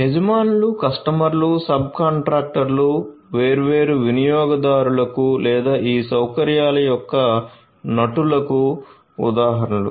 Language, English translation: Telugu, So, owners, customers, subcontractors are examples of the different users or the actors of these facilities